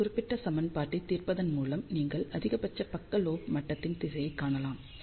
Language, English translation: Tamil, So, by solving this particular equation you can find the direction of maximum side lobe level